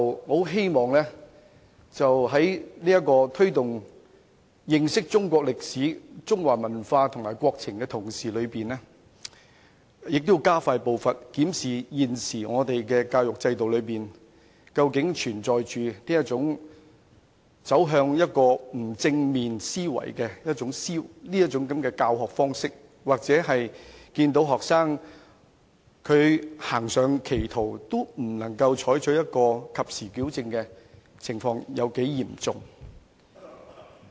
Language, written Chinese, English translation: Cantonese, 我希望政府在推動認識中國歷史、中華文化及國情的同時，亦加快步伐，檢視現時的教育制度究竟是否存有甚麼教學方式，會導致學生產生不正面的思維，或是教師看到學生誤入歧途時，未能及時矯正的情況究竟有多嚴重。, I hope that in the course promoting understanding of Chinese history and culture and development of our country the Government must hasten its pace in reviewing the current education system to see if there is anyone using any teaching method that instills negative thoughts in students or how serious are the cases of teachers seeing students go astray but failing to correct them in time